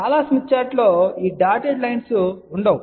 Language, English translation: Telugu, Many smith charts do not have this dotted line